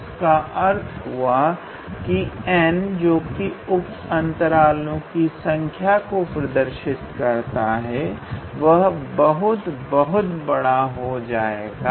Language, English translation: Hindi, That means, this n here these number of subintervals are basically I mean getting larger and larger